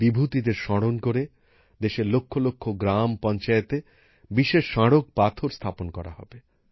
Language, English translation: Bengali, In the memory of these luminaries, special inscriptions will also be installed in lakhs of village panchayats of the country